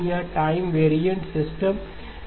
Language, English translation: Hindi, These are time varying systems